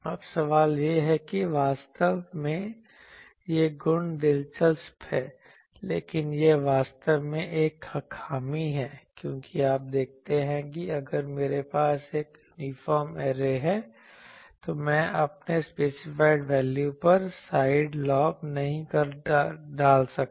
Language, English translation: Hindi, Now, the question is actually these properties are interesting, but this is actually a drawback, because you see that if I have an uniform array, I cannot put side lobes at my specified values